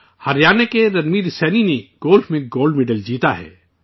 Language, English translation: Urdu, Haryana's Ranveer Saini has won the Gold Medal in Golf